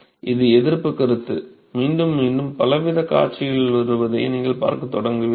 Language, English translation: Tamil, You can see that this resistance concept, you will start seeing that it is coming in again and again many different scenario